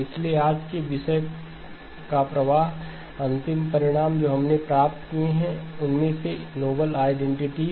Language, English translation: Hindi, So the flow of today's topics, the last lecture one of the key results that we have obtained is the noble identities